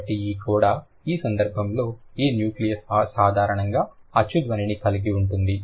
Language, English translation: Telugu, So, this coda, in this case this nucleus generally consists of a vowel sound